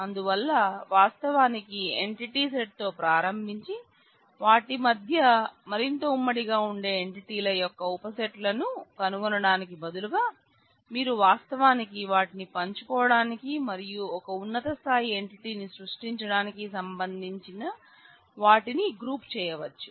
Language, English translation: Telugu, So, instead of actually starting with an entity set and finding out subsets of entities which have greater commonality between them and putting them as specialized, you could actually group them in terms of finding out what they share and create a higher level entities